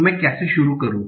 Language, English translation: Hindi, So how do I start